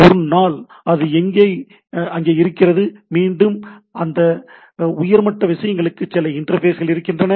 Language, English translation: Tamil, Now one day once it is there then the again there are interfaces to go to this higher level things